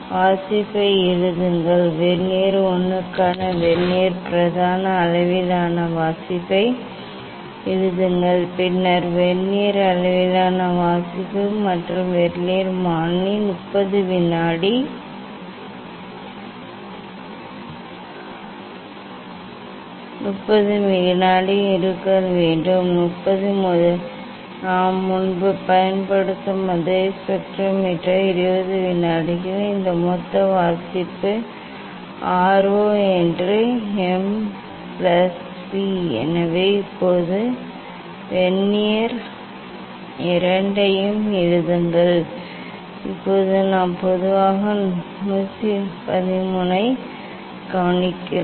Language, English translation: Tamil, write the reading; write the reading Vernier main scale reading for Vernier 1 and then Vernier scale reading And Vernier constant is 20 second, the same spectrometer we are using earlier we have shown that it is 20 second this total reading R 0 that is M plus V So now, for Vernier 2 also write down, now just we take generally observation 1 2 3 this means